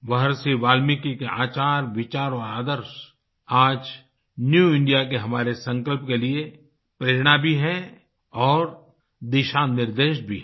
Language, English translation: Hindi, Maharishi Valmiki's conduct, thoughts and ideals are the inspiration and guiding force for our resolve for a New India